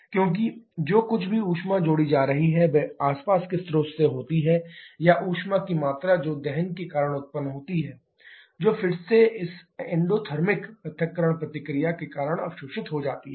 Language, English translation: Hindi, Because whatever heat is being added that from the surrounding source or the amount of heat produced because of combustion that will again get absorbed because of this endothermic dissociation reaction